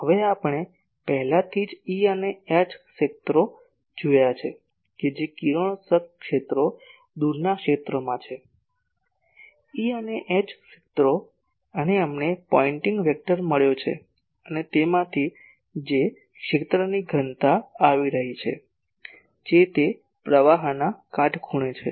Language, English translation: Gujarati, Now, already we have seen E and H fields that radiation fields in the far field , the E and H fields and we have found the pointing vector and from that the power density that is taking place in a area which is perpendicular to that flow of power , radial flow of power